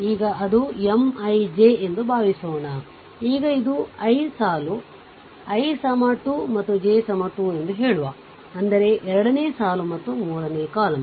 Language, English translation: Kannada, Now suppose it is M I j, right so, it is I th row say i is equal to 2 and j is equal to 3; that means, second row and third column, right